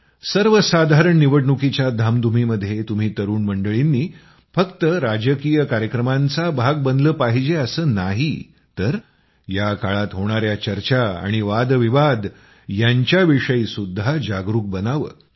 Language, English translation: Marathi, Amidst this hustle and bustle of the general elections, you, the youth, should not only be a part of political activities but also remain aware of the discussions and debates during this period